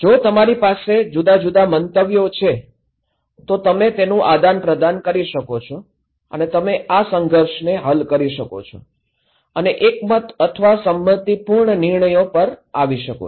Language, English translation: Gujarati, If you have different opinions, you can share and you can resolve this conflict and come into consensus or agreed decisions